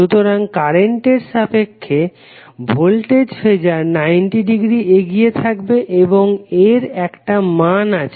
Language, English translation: Bengali, So the voltage Phasor would be 90 degree leading with respect to current and it has some value